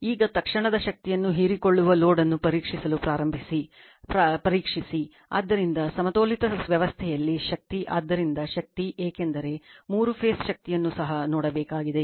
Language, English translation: Kannada, Now, we begin by examining the instantaneous power absorbed by the load right, so power in a balanced system so power, because we have to see the three phase power also